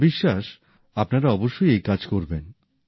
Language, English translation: Bengali, I am sure that you folks will definitely do this work